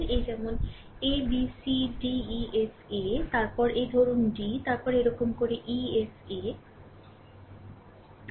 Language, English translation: Bengali, So, this another one is your b c d e b, this a b e f a, another one is b c d e b